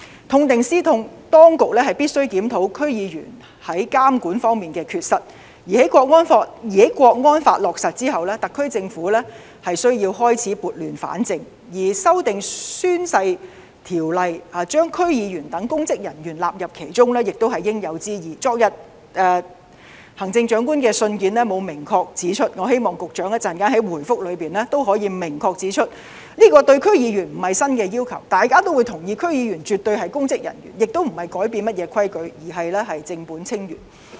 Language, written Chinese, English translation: Cantonese, 痛定思痛，當局必須檢討區議員在監管方面的缺失；而在《香港國安法》落實後，特區政府需要開始撥亂反正，而修訂《宣誓及聲明條例》，把區議員等公職人員納入其中，亦是應有之義——昨天行政長官的信件沒有明確指出這項要求，我希望局長稍後在答覆中也可以明確指出——對區議員來說，這並非新要求，大家也會同意，區議員絕對是公職人員，也不是要改變甚麼規矩，而是正本清源。, The authorities should learn from this painful lesson by reviewing its failures in supervising DC members . After the implementation of the National Security Law the SAR Government needs to bring order out of chaos . The Government is duty - bound to amend the Oaths and Declarations Ordinance by including DC members into the Ordinance as public officers―the Chief Executive has not pointed out that in yesterdays letter but I hope the Secretary will explicitly point that out later on in his reply―as to DC members this is nothing new at all